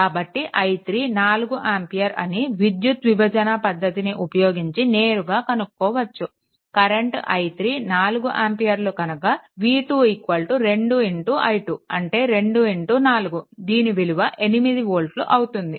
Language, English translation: Telugu, And if your i 3 is equal to 4 ampere then v 2 is equal to your 2 into i 3 that is 2 into 4 that is your 8 volt right